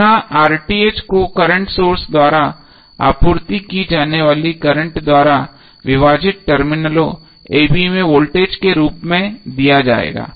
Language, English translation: Hindi, The voltage across terminals a b divided by the current supplied by current source